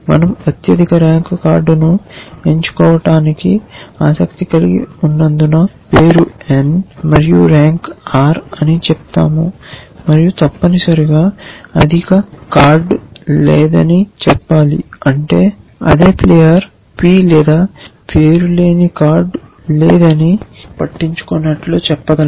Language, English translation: Telugu, Let us say name n and rank r because we are interested in picking the highest card we should talk about the rank and we should say that there is no higher card essentially, which means we can say that there is no card the same player p, name we do not care about